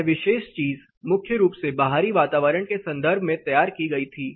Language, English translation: Hindi, This particular thing was prepared mainly in the context of outdoor environment